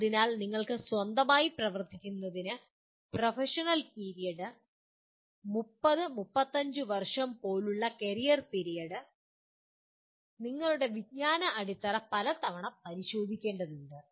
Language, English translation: Malayalam, So for you to work in one’s own let us say professional period, career period like 30 35 years, you may have to overhaul your knowledge base many times